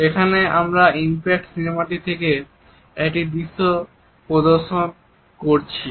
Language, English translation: Bengali, Here we are displaying a very interesting video from impact movie